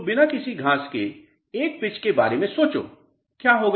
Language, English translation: Hindi, So, think of a pitch without any grass, what will happen